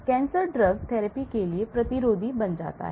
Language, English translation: Hindi, the cancer becomes resistance to drug therapy